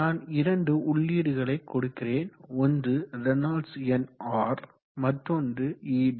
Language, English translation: Tamil, And I am providing two inputs R, Reynolds number, ed